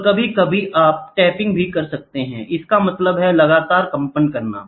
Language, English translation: Hindi, And sometimes you can also have tapping; that means, to say constantly vibrating